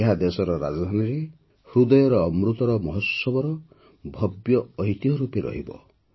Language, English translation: Odia, It will remain as a grand legacy of the Amrit Mahotsav in the heart of the country's capital